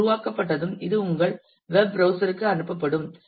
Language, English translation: Tamil, And once that is generated then this will be passed back to the to your web browser